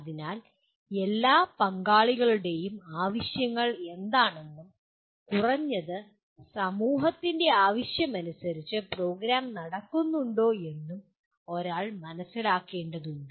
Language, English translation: Malayalam, So one will have to really understand what are the needs of the all the stakeholders and whether the program is being conducted as per the at least perceived needs of the society at large